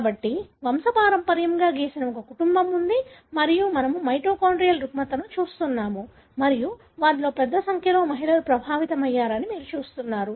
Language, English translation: Telugu, So, there is a family that is drawn, pedigree and we are looking at a mitochondrial disorder and you see that a large number of them are females, affected